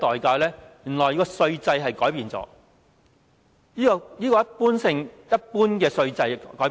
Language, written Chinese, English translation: Cantonese, 原來要改變稅制，把一般的稅制改變。, We have to change the tax regime or change our usual tax regime